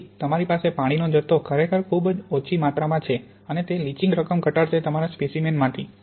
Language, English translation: Gujarati, So the amount of water you have is really very small amount and will minimize the amount of leaching you have from your sample